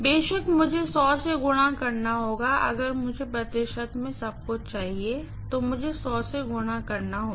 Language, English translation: Hindi, Of course, I have to multiply this by 100, if I want everything in percentage I have to multiply by 100 of course